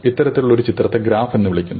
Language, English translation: Malayalam, So, this kind of a picture is called a graph